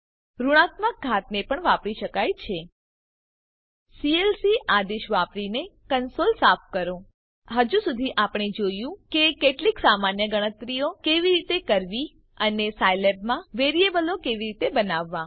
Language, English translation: Gujarati, Negative powers can also be used, Clear the cansole using clc command So far, you have seen how to do some simple calculations and how to create variables in Scilab